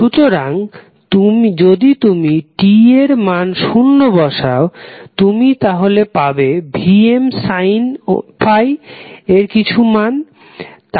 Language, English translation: Bengali, So, if you put value of t is equal to zero, you will get some value called Vm sine 5